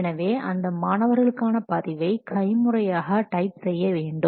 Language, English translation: Tamil, So, and those are what student records has to be typed manually